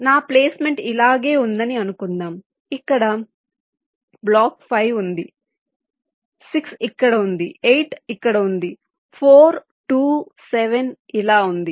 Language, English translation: Telugu, but suppose my placement was like this, where block five is here, six is here, eight is here four, two, seven, like this